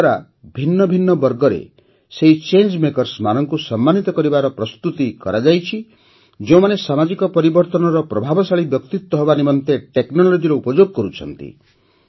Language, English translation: Odia, Under this, preparations are being made to honour those change makers in different categories who are using technology to become effective voices of social change